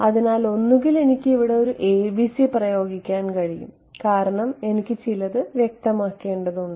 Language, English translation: Malayalam, So, I can either I can impose a ABC over here because I have to I have to specify something